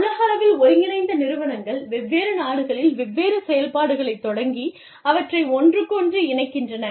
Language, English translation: Tamil, The globally integrated enterprises, that you start, different operations in different countries, and tie them in, with each other